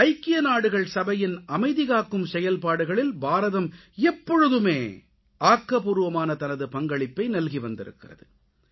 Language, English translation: Tamil, India has always been extending active support to UN Peace Missions